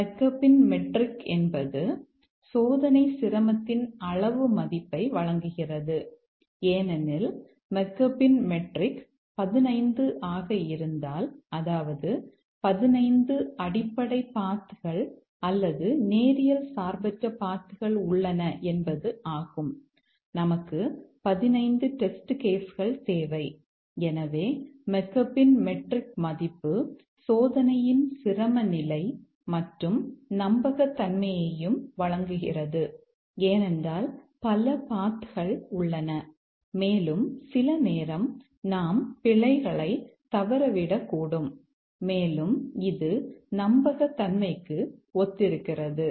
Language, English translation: Tamil, The Maccabes metric provides a quantitative measure of the testing difficulty because if the Macaves metric is 15 that means there are 15 basis paths or linearly independent paths and we need 15 test cases